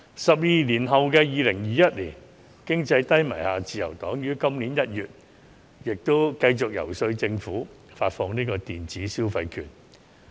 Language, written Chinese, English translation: Cantonese, 十二年後的2021年經濟低迷，自由黨於今年1月繼續遊說政府發放電子消費券。, LP continued to lobby the Government to issue electronic consumption vouchers in January this year